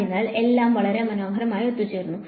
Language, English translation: Malayalam, So, it is all comes together very nicely alright